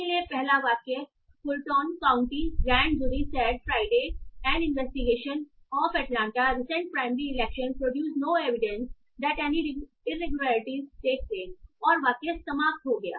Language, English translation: Hindi, So the first sentence is the Fulton County grand jury said Friday an investigation of Atlanta's recent primary election produced no evidence that any irregularities took place and then sentence ends